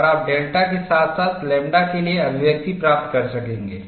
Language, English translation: Hindi, So, this gives you a final expression delta equal to lambda